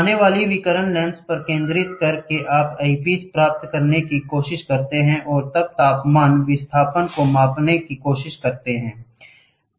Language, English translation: Hindi, The incoming radiation by focusing the lens on the body you try to get the eyepiece and you try to measure the temperature displacement